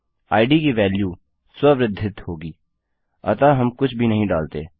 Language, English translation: Hindi, The value of id will be auto incremented, so we dont have to put anything